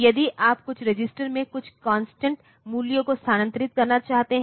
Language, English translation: Hindi, So, if you want to move some constant value to some register